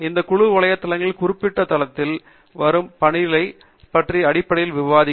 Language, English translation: Tamil, These groups or these group websites will basically discuss about ongoing work in that particular domain